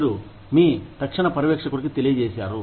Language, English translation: Telugu, You have let your immediate supervisor, know